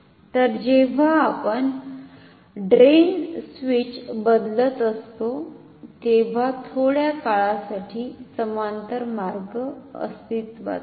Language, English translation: Marathi, So, for a brief moment when we are changing the drain switch no parallel path exist